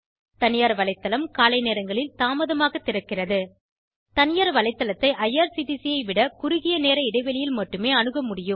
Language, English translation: Tamil, Private website open late in the morning, Only a shorter time interval is available on Private website than irctc was open in 8 am private website open at 10 am